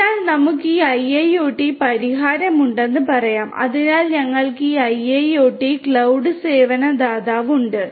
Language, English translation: Malayalam, So, let us say that we have this IIoT solution, so we have this IIoT cloud service provider cloud provider right